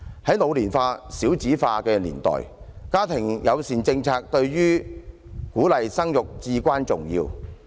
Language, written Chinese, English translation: Cantonese, 在老年化、少子化的年代，家庭友善政策對於鼓勵生育至關重要。, Living in the era of population ageing and low fertility family - friendly policies are of utmost importance in boosting birth rate